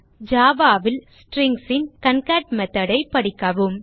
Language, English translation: Tamil, Read about the concat method of Strings in Java